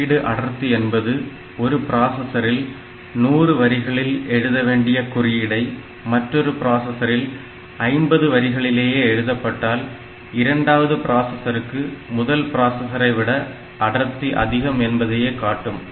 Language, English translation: Tamil, If I for a particular function, if I have to write say 100 lines of code in one processor and 50 lines of code in another processor in the second processor has got a better code density than the first one